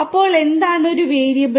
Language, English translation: Malayalam, Then what is a variable